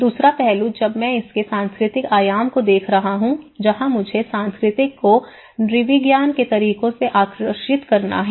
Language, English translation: Hindi, The second aspect when I am looking at the cultural dimension of it that is where I have to draw the methods from the cultural anthropology